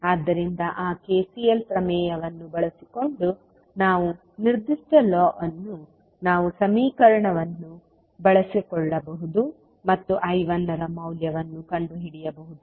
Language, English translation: Kannada, So using that KCL theorem we will the particular law we can utilize the equation and find out the values of I 1